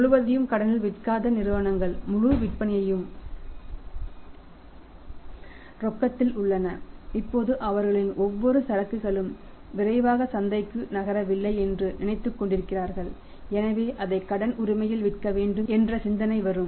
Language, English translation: Tamil, It is a peculiar case companies selling not at all on credit entire sales are on the cash and now they are thinking of that every inventory are not moving to the market quickly so we will have to think of no selling it on credit right